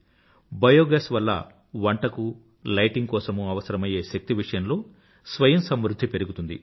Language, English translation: Telugu, Biogas generation will increase selfreliance in energy utilized for cooking and lighting